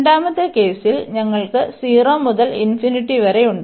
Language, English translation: Malayalam, In the second case, you have 0 to infinity